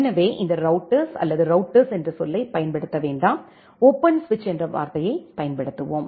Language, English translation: Tamil, So this router or let us not use the term router, let us use the term open switch